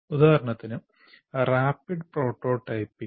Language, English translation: Malayalam, We'll only list, for example, rapid prototyping